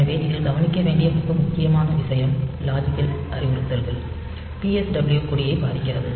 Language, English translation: Tamil, So, this is one of the very important thing to notice that these logic instructions will not affect the PSW flags